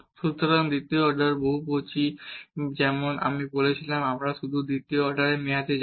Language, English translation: Bengali, So, the second order polynomial as I said we will just go up to the second order term